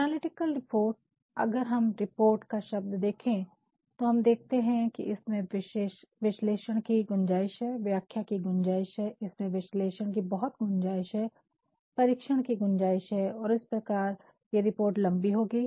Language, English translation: Hindi, Analytical report, if we takethe words of the report itself, we will find that there is a scope for analysis, there is a scope for interpretation, there is ample scope for analysis, investigation and hence this report will be longer, you also can make the use of illustrations